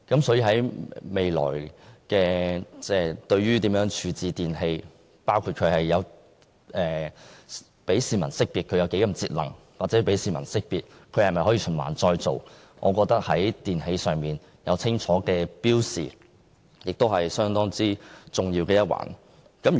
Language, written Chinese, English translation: Cantonese, 對於未來如何處置電器，包括讓市民識別電器的節能程度或電器可否循環再造，我認為在電器上有清楚標示相當重要。, As regards the future disposal of electrical products including how to inform the public of their energy efficiency and recyclability I think it is fairly important to give clear indication on the products